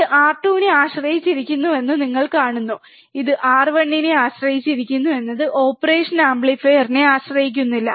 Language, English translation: Malayalam, You see it depends on R 2 it depends on R 1 is does not depend on the operational amplifier